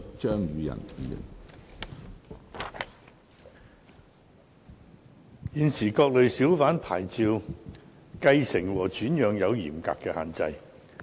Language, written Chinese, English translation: Cantonese, 現時，各類小販牌照的繼承和轉讓有嚴格的限制。, President at present the succession and transfer of various categories of hawker licences are subject to stringent restrictions